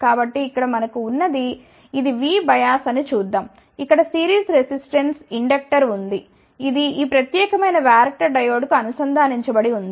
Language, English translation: Telugu, So, let us see what we have here this is the V bias, where is a series resistance inductor, which is connected to this particular varactor diode